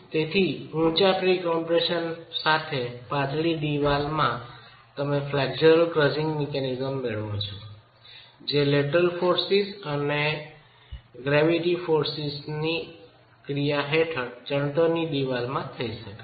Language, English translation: Gujarati, So, in a slender wall with high pre compression, you can get the flexural crushing mechanism that can occur in a masonry wall under the action of lateral forces and gravity forces